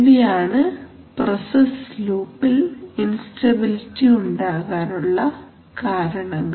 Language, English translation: Malayalam, So these are the major causes of instability in a process loop